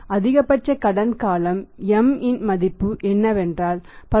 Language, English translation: Tamil, The value of M is that is a maximum length of credit period that is 10